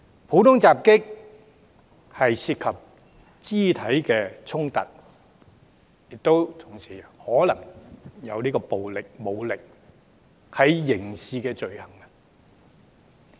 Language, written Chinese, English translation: Cantonese, 普通襲擊涉及肢體衝突，同時可能涉及暴力和武力，屬刑事罪行。, Common assault which involves physical confrontations and possibly violence and force as well is a criminal offence